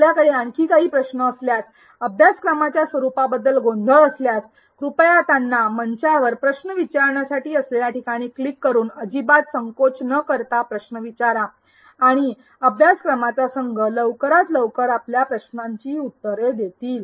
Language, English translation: Marathi, In case you have any further questions, confusions on the format of the course, please do not hesitate to ask them on the forum by clicking on ask a question and the course team will address your queries at the earliest